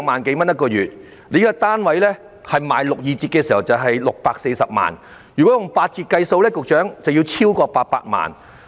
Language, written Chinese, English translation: Cantonese, 這個單位的六二折價格是640萬元，但如以八折計算，樓價便會超過800萬元。, The price of this unit after a 38 % discount is 6.4 million but it would exceed 8 million should the discount be 20 %